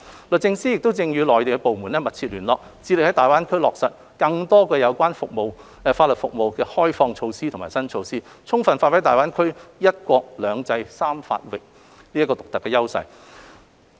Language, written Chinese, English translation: Cantonese, 律政司亦正與內地相關部門密切聯絡，致力在大灣區落實更多有關法律服務的開放措施和新措施，充分發揮大灣區"一國、兩制、三法域"的獨特優勢。, DoJ is also liaising closely with the relevant Mainland Authorities right now endeavouring to implement more liberalization measures and new initiatives on legal services in GBA in order to give full play to GBAs unique strength of one country two systems and three jurisdictions